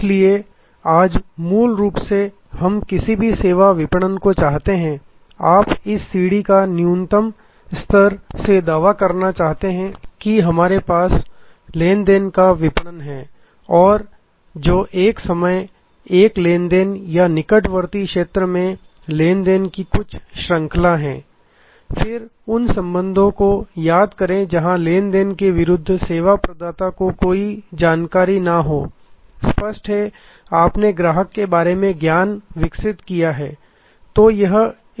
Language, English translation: Hindi, So, basically today we want to any service marketing, you want to claim this stairway at the lowest level we have transactional marketing, which is one time, one transaction or just some series of transaction in near vicinity it is then recall relational, where as oppose to transactional, where the service provider may have no knowledge about the service customer in relationship, obviously, you have develop the knowledge about the customer